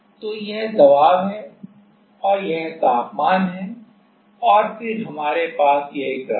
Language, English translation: Hindi, So, this is pressure and this is temperature and then we have this is graph